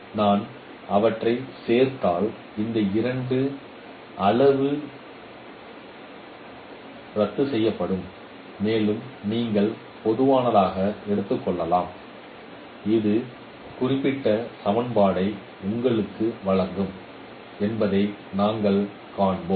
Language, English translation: Tamil, If I add them these two quantity will be cancelled and you can take WI prime as a common and we will find this will give you this particular equation